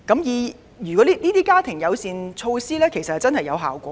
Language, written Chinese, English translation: Cantonese, 事實上，推行家庭友善措施真的有成效。, In fact the introduction of family - friendly employment practices has been really effective